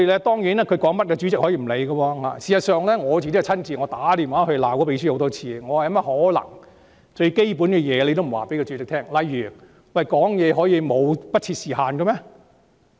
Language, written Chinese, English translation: Cantonese, 當然，內會主席可以不理會秘書處的意見，我亦親自多次致電內會秘書，責罵他不能不告訴主席基本規則，例如：發言可以不設時限嗎？, Of course the HC Chairman can disregard the Secretariats views . I had also personally telephoned the clerk to HC and chided her for not telling the chairman the basic rules . For example could there be no limit to speaking time?